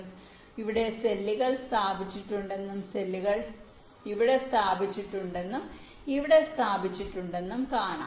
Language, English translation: Malayalam, so you can see that there are cells placed here, cells placed here and this space in between